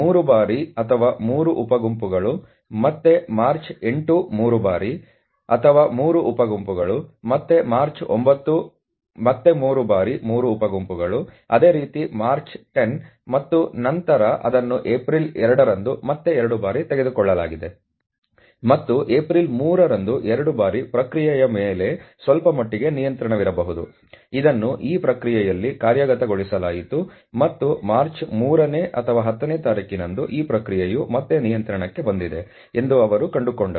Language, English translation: Kannada, So, its near about one month data that we are talking about, and there are you know not all days on which the data has been taken, basically it has been taken on 7th of March 3 times or 3 sub groups again 8th of March 3 times or 3 sub groups again 9th of March again 3 times 3 sub groups similarly 10th of March and then it has been taken on the 2nd of April again 2 times, and 3rd of April 2 times to probably there was some degree of control of the process, which was executed in this process and they found out that on third on tenth of March probably the process was back to control